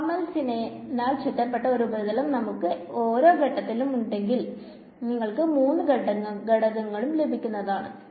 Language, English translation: Malayalam, If you had a general surface oriented along with normal’s in each component, you will get all three components